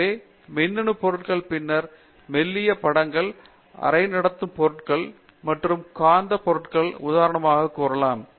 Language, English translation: Tamil, So, after electronic materials, for example, thin films, semi conducting materials and magnetic materials